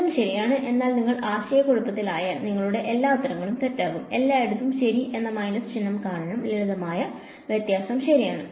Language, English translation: Malayalam, Both are correct, but if you get confused you will all your answers will be wrong by minus sign everywhere ok, because of the simple difference ok